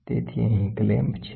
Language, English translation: Gujarati, So, here is the clamp